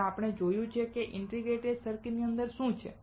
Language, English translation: Gujarati, And we have seen what is inside the integrated circuit